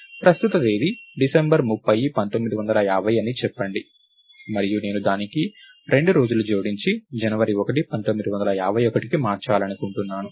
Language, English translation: Telugu, So, lets say the current date is 30th December 1950, and I want to add 2 days to it and move to January 1, 1951